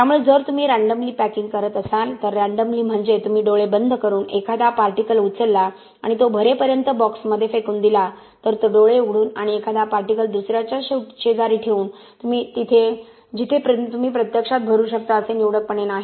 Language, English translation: Marathi, So packing density if you do a packing randomly, randomly meaning you throw in you close your eyes, pick up a particle and throw in the box until the box gets filled, it is not selectively by opening the eyes and placing one next to other where you can actually fill in space no, you are doing it randomly